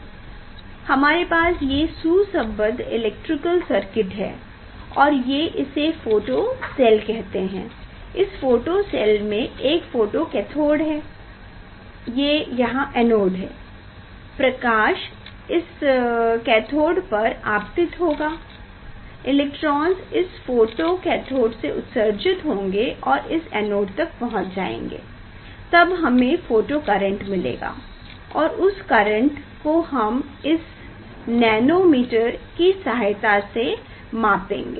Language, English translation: Hindi, we have a is the compact one you know, we have a it is called it is the photocell, we tell is the photocell, in photocell there is a photocathode and there is a anode, light will fall on this cathode, now electrons will emit from this photocathode and it will reach to the anode, then we will get photocurrent, we will get photocurrent and that current will measure using the nanoammeter